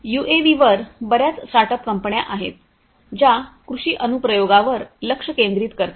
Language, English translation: Marathi, And also there are a lot of startup companies on UAVs which are focusing on agricultural application